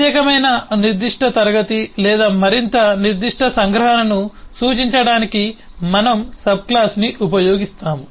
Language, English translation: Telugu, we will use subclass to represent specialised, more specific class or more specific abstraction